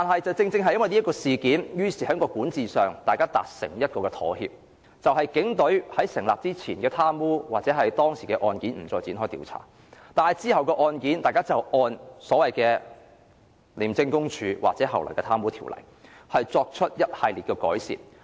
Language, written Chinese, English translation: Cantonese, 在發生警廉衝突事件後，大家在管治上達成妥協，警隊在廉署成立前涉及的貪污案件不再展開調查，而往後的案件，大家則按《廉政公署條例》作出一系列的改善。, A compromise was reached after ICAC agreed not to pursue any pre - ICAC corruption cases involving police officers . Post - ICAC corruption cases however would be dealt with in accordance with the Independent Commission Against Corruption Ordinance